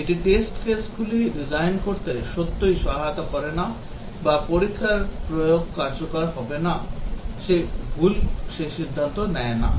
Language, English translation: Bengali, It does not really help design test cases or does not decide whether the test execution is right or wrong